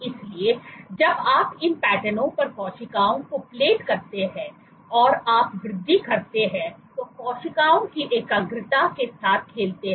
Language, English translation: Hindi, So, when you plate cells on these patterns and you increase, play with the concentration of the cells